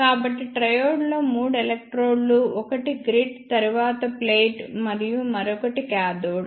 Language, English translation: Telugu, So, in triode there are three electrodes one is grid, then plate and other is cathode